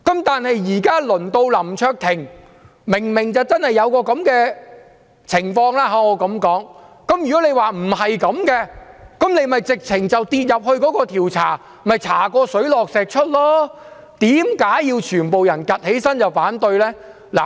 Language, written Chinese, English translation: Cantonese, 但是，現時輪到林卓廷議員，他明明真的有這樣的情況，如果他說不是這樣，便應該接受調查，查個水落石出，為何要全部人站起來反對呢？, However now the ball is in the court of Mr LAM Cheuk - ting who is so obviously implicated . If he says that is not the case he should be subjected to investigation until the truth is out . Why do all of them stand up against it?